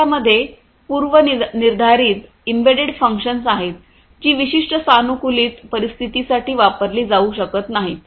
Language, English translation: Marathi, They have predefined embedded functions that cannot be used for certain you know customized scenarios